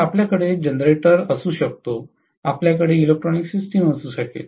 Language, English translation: Marathi, So, we may have generator, we may have electronic system